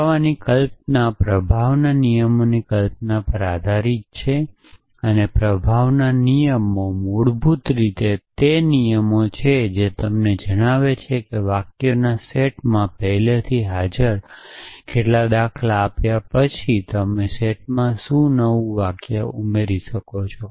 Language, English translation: Gujarati, So, notion of proof is based on the notion of the rules of influence and rules of influences are basically rules which tell you that given some pattern already present in the set of sentences what new sentence can you add to the set up